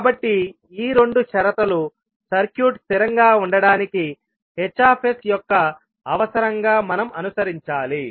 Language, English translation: Telugu, So these are the two conditions which we have to follow as a requirement for h s to of the circuit to be stable